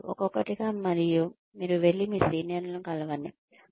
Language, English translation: Telugu, One by one, and you go, and meet your seniors